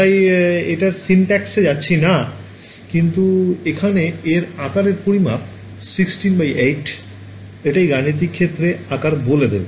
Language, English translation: Bengali, So, we would not get into syntax, but what is being set over here this size is 16 8 no size this is telling you the size of the computational domain